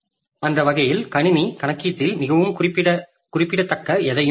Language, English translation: Tamil, So, that way the system does not do anything very significant in the computation